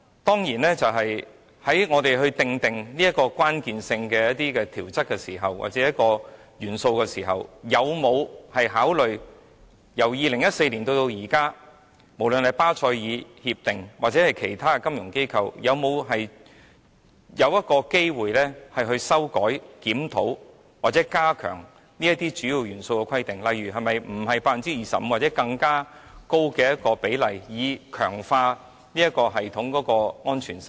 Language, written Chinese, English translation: Cantonese, 當然，在我們訂立一些關鍵性的規則或元素的時候，有否考慮由2014年至今，無論是巴塞爾協定或其他金融機構有否修改、檢討或加強這些主要元素，例如不再是 25% 或訂定更高的比例，以強化這系統的安全性呢？, Certainly when drawing up the key rules or elements have we considered whether the Basel Accords or other financial institutions have since 2014 revised reviewed or enhanced these key elements such as revising the 25 % threshold or pitching it at an even higher percentage to strengthen the security of this system?